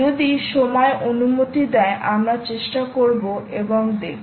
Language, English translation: Bengali, if time permits, we will try and see if you can spend time there